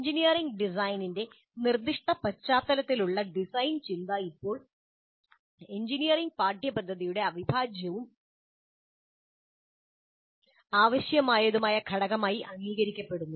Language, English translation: Malayalam, Design thinking in the specific context of engineering design is now accepted as an integral and necessary component of engineering curricula